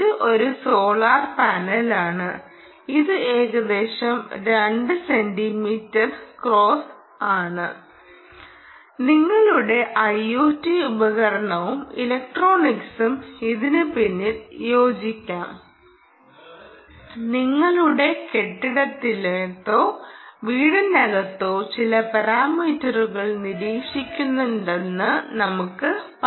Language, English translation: Malayalam, you see, this is roughly ah, i would say, two centimeter, cross, two centimeter, and your i o t device and electronics perhaps will also fit behind this and the, let us say it is doing some ah monitoring of some parameter inside your building or inside your, inside your house